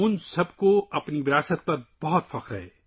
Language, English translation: Urdu, All of them are very proud of their heritage